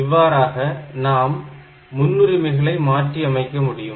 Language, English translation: Tamil, So, here you can alter the priority setting